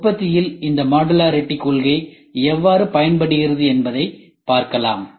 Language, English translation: Tamil, Then you can try to see how this modularity concept benefits in manufacturing